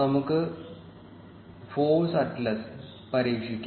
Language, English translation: Malayalam, Let us try ForceAtlas